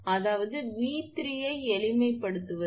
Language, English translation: Tamil, Then the V 3 is equal to 1